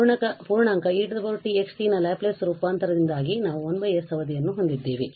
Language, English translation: Kannada, So, e power t x t the Laplace transform because of the integral we have 1 over s term